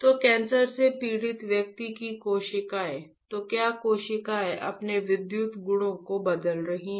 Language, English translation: Hindi, So, cell from the person suffering from a cancer, then are the cells changing their electrical properties